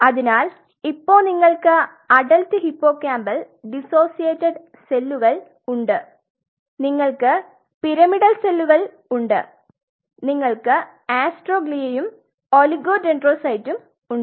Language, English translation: Malayalam, So, you have adult hippocampal dissociated cells you have pyramidal cells interneurons you have astroglia you have oligodendrocyte